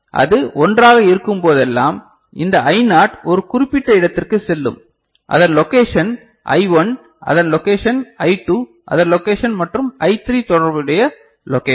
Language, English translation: Tamil, And whenever it is 1 then this I naught goes to a specific its location I1 its location, I2 its location and I3 corresponding location, is it fine